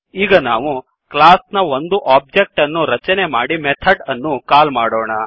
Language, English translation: Kannada, Let us create an object of the class and call the methods